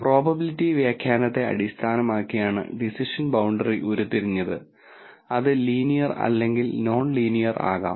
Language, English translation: Malayalam, The decision boundary is derived based on the probability interpretation and it can be linear or non linear